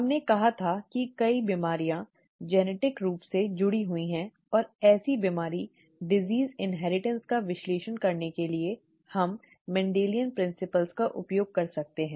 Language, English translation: Hindi, We said that many diseases are genetically linked and to usefully analyse such disease inheritance, we could use Mendelian principles